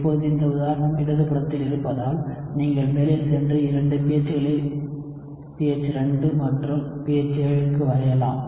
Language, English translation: Tamil, Now that we have this example on the left, you can go ahead and draw it for 2 pHs pH 2 and pH 7